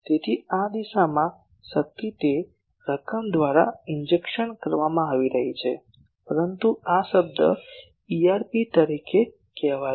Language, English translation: Gujarati, So, in this direction power is being inject by that amount, but this term says EIRP